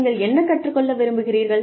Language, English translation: Tamil, What do you want to learn